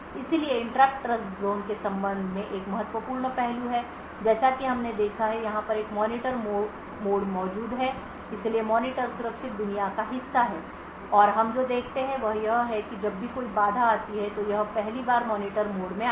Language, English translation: Hindi, So interrupts are a critical aspect with respect to Trustzone so as we have seen that is a Monitor mode present over here so the monitor is part of the secure world and what we see is that whenever interrupt comes so it is first channeled to the Monitor mode